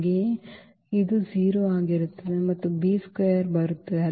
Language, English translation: Kannada, Also this will be 0 and b square will come